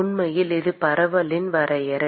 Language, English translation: Tamil, In fact, that is the definition of diffusion